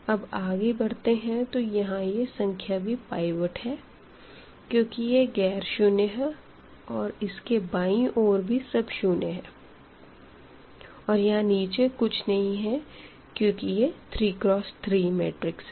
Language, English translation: Hindi, Going to the next this is also a pivot element because this is nonzero and everything left to zero and there is nothing here because the matrix was this 3 by 3